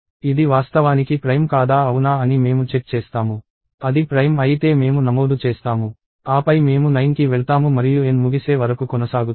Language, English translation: Telugu, I will check whether it is actually prime or not, I will register it if it is prime, then I move on to 9 and so on up till N is over